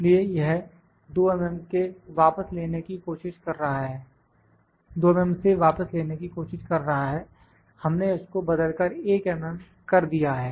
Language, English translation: Hindi, So, it is a trying to retract from the 2 mm we have to change it to 1 mm